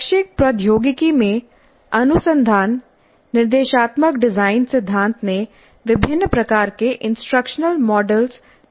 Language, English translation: Hindi, The research into the educational technology, instruction design theory has produced a wide variety of instructional models